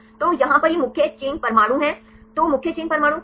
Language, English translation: Hindi, So, marked here these are the main chain atoms then what are main chain atoms